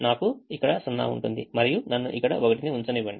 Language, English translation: Telugu, i have zero here, i will have a zero here and let me put one here